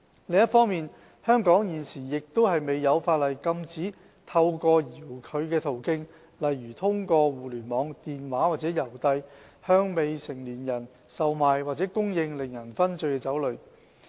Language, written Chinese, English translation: Cantonese, 另一方面，香港現時亦未有法例禁止透過遙距途徑，例如互聯網、電話或郵遞，向未成年人售賣或供應令人醺醉的酒類。, Meanwhile no existing law in Hong Kong prohibits the sale or supply of intoxicating liquor to minors through remote means such as on the Internet over the telephone or by mail